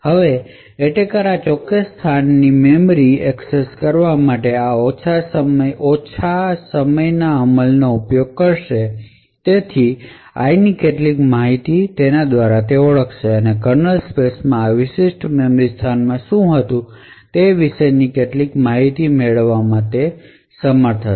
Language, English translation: Gujarati, Now the attacker would use this lower execution time for memory access of this particular location, identify some information about the value of i and therefore be able to determine some information about what was present in this specific memory location in the kernel space